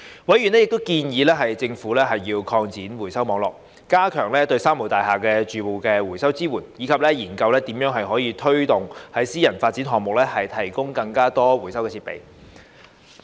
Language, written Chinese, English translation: Cantonese, 委員亦建議政府擴展回收網絡、加強對"三無大廈"住戶的回收支援，以及研究如何推動在私人發展項目提供更多回收設備。, Members also suggested that the Government should expand the recycling network strengthen the recycling support for residents of three - nil buildings and study how to promote the provision of more recycling facilities in private developments